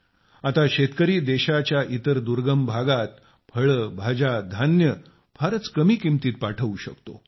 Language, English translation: Marathi, Now the farmers are able to send fruits, vegetables, grains to other remote parts of the country at a very low cost